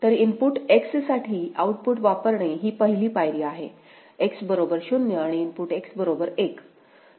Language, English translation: Marathi, So, the first step is using the output for input X is equal to 0 and input X is equal to 1; fine